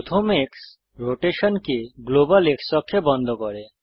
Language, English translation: Bengali, The first X locks the rotation to the global X axis